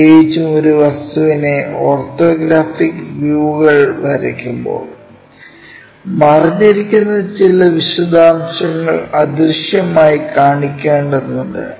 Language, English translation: Malayalam, Especially, when drawing the orthographic views of an object, it will be required to show some of the hidden details as invisible